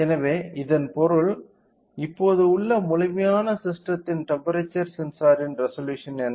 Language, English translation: Tamil, So, that means, what is the resolution of temperature sensor right now of the complete system right now